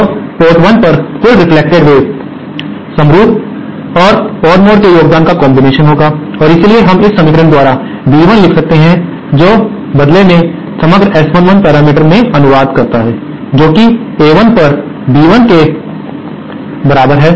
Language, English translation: Hindi, Then the total reflected wave at port 1 will be the combination of the contribution of the even mode and the odd mode and hence we can write B1 by this equation which in turn translates to that the overall S11 parameter that is B1 upon A1 is equal to this equation